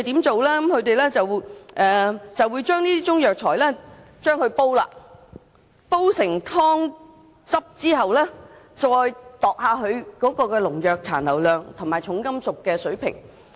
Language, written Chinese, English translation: Cantonese, 政府會將中藥材煎煮成藥湯，然後再檢驗當中的農藥殘留量及重金屬水平。, The Government will prepare decoctions with the Chinese herbal medicines and then conduct tests on pesticide residues and heavy metals content in the decoctions